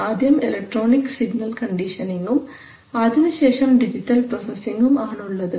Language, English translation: Malayalam, So you have analog electronic signal conditioning followed by digital processing